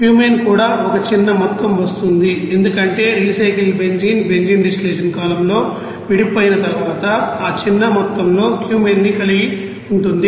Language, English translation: Telugu, Cumene also a small amount it will come because the recycle benzene will contains that small amount of Cumene after separation in the benzene distillation column